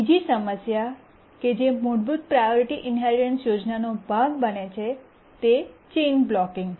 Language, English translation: Gujarati, Now let's look at the second problem that the basic priority inheritance scheme suffers from goes by the name chain blocking